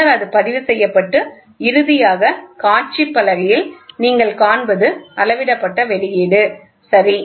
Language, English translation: Tamil, So, and then it is also recorded and finally, what you see on the display board is the output which is measured, ok